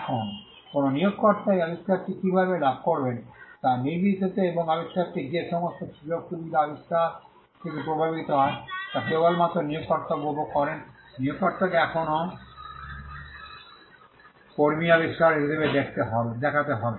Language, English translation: Bengali, Now, regardless of the gains that an employer will make out of this invention, and the fact that every benefit that flows out of the invention will solely be enjoyed by the employer, the employer will still have to show the employee as the inventor